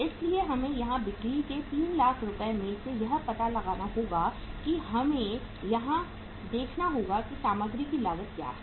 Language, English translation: Hindi, So we will have to find out here out of 3 lakh rupees of the sales we will have to see that what is the material cost